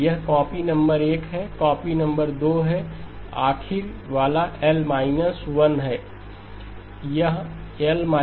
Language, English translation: Hindi, This is copy number 1, copy number 2, the last one would be copy L minus 1